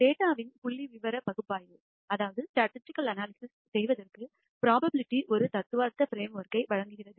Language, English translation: Tamil, Probability provides a theoretical framework for providing, for performing statistical analysis of data